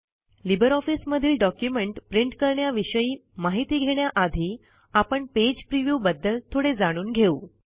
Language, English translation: Marathi, Before learning about printing in LibreOffice Writer, let us learn something about Page preview